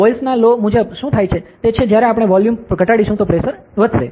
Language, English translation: Gujarati, According to the Boyle’s law what happen is, when we decrease the volume pressure will increase, ok